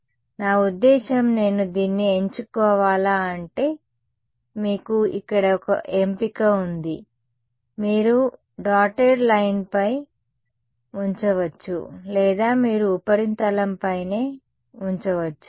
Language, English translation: Telugu, So, I mean should I choose it like the, you have one choice over here, you can put on the dotted line or you can put on the surface itself